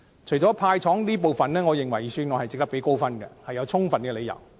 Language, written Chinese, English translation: Cantonese, 除了"派糖"這部分外，我認為有充分理由值得給予預算案一個高分數。, Apart from giving away candies I think there are good reasons for giving the Budget a high score